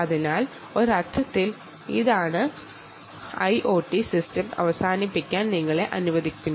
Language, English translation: Malayalam, so in a sense, this is what will allow you to build a end to end ah i o t system